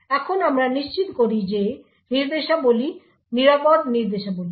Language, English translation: Bengali, Now we ensure that the instructions are safe instructions